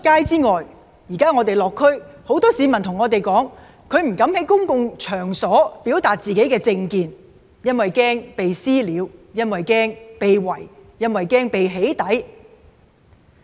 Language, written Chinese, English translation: Cantonese, 此外，我們最近落區，有很多市民跟我們說不敢在公共場所表達自己的政見，因為害怕遭人"私了"、害怕被"圍"、害怕被"起底"。, Moreover in our recent visit to our constituencies many people told us that they dared not talk about their political views in public because they were afraid of being subject to vigilante attacks being surrounded by protesters and being doxxed